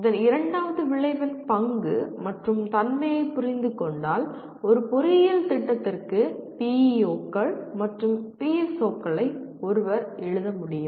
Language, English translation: Tamil, And having understood the role and the nature of this the second outcome is one should be able to write the PEOs and PSOs for an engineering program